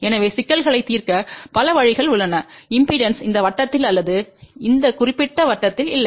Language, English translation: Tamil, So, there are multiple ways to solve the problems when the impedances are neither in this circle or in this particular circle here